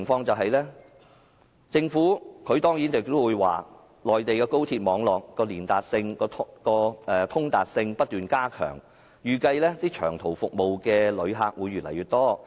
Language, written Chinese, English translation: Cantonese, 政府當然會說內地的高鐵網絡的通達性不斷加強，預計使用長途服務的旅客會越來越多。, Of course the Government will say that the connectivity of the high - speed railway network in the Mainland is being enhanced continuously and long - haul patronage is expected to increase